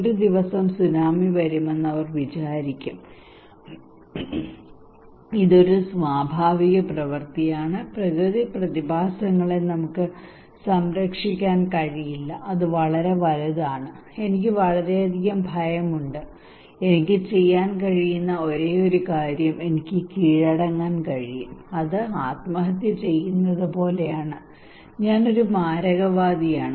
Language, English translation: Malayalam, They will think okay tsunami will come one day it is a natural act, natural phenomena we cannot protect and if it is too big and if I have lot of fear the only thing I can do is I can surrender it is like committing suicide I am a fatalist